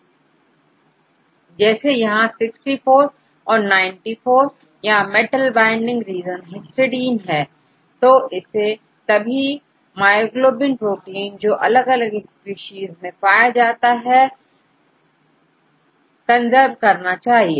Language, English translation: Hindi, It is say 65 and 94 or metal binding region, which is histidine so, it should be conserved across all the myoglobin proteins across species